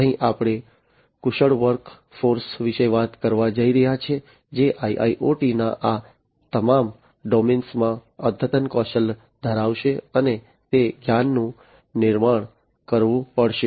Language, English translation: Gujarati, Here we are going to talk about is skilled workforce, which will have advanced skills in all these domains of IIoT, and that knowledge has to be built up